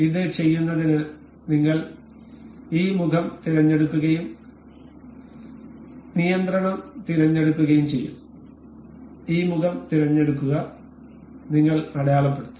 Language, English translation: Malayalam, To do this we will select this face and we will select control select this face and we will mark